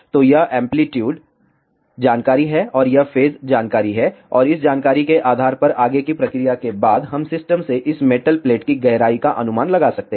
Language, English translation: Hindi, So, this is the amplitude information and this is a phase information and based on this information after further processing we can estimate the depth of this metal plate from the system